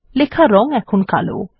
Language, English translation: Bengali, The text is now black in color